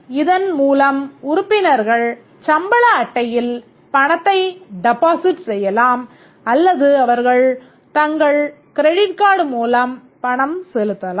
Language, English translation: Tamil, The library issues pay cards where the members can deposit money in the pay card or they can pay they can pay through their credit card